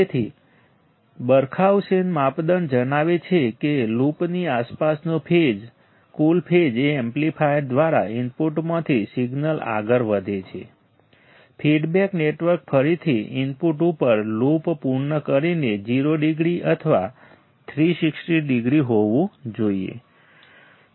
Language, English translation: Gujarati, So, the Barkhausen criterion states that one the total phase shift around a loop is a signal proceeds from input through the amplifier, feedback network back to the input again completing a loop should be 0 degree or 360 degree right